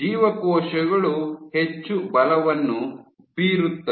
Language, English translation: Kannada, the cells exerted more force